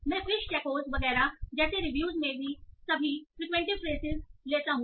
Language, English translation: Hindi, So I take all frequent phrases across the reviews, like fish tacos and so on